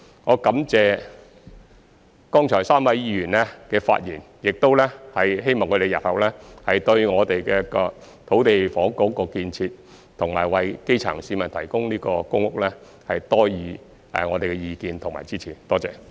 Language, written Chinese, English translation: Cantonese, 我感謝剛才3位議員的發言，亦希望他們日後對我們的土地及房屋建設，以及為基層市民提供公屋方面多給意見及支持，謝謝。, I am grateful to the three Members who have just spoken . I hope that in the future they will give us more advice and support on land and housing development as well as the provision of PRH for the grass roots . Thank you